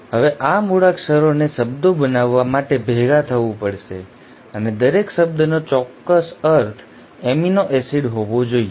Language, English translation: Gujarati, Now these alphabets have to come together to form words and each word should mean a particular amino acid